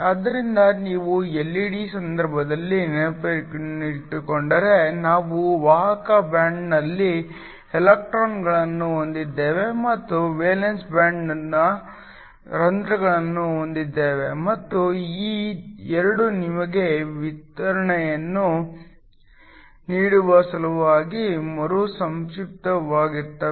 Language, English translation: Kannada, So, if you remember in the case of an LED we had electrons in the conduction band and holes in the valence band and these 2 recombine in order to give you radiation